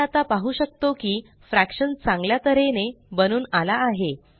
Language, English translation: Marathi, We see that the fraction has now come out nicely